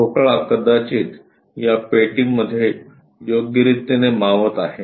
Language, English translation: Marathi, The block perhaps fit in this box